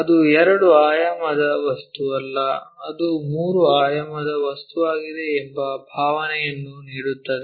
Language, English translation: Kannada, That gives us a feeling that it is not two dimensional object, it is a three dimensional object